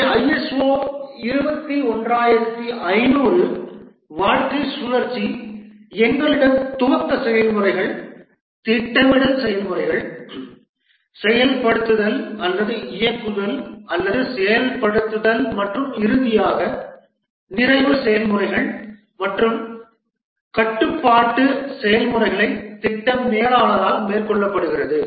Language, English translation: Tamil, The ISO 21,500 lifecycle, here also we have the initiating processes, the planning processes, implementing or the directing or executing processes and finally the closing processes and throughout the controlling processes are carried out by the project manager